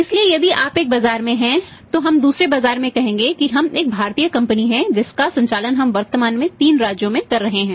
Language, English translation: Hindi, So, if we are in one market if we want to move to the other marketsay we are a Indian company currently mapping for three states